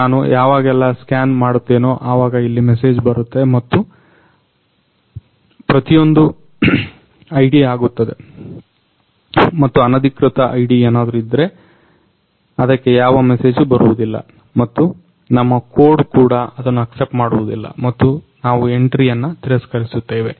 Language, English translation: Kannada, Now whenever I scan it, there will be a message and that will happen for every ID and if some unauthorized ID is placed, then there will be no message and even our code will not accept it and we will simply reject that entry